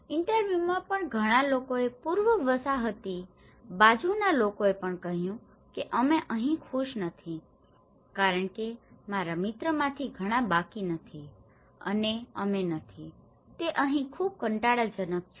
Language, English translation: Gujarati, In the interviews, many of the people even from the pre colonial side they started saying we are not happy here because none much of my friends they are left and we are not, itÃs very boring here